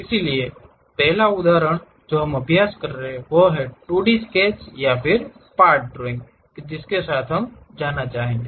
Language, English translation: Hindi, So, first example what we are practicing is 2D sketches or part drawing we would like to go with